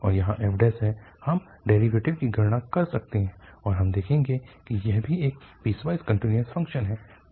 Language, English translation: Hindi, And, there is f derivative, we can compute the derivative and we will notice there is also a piecewise continuous function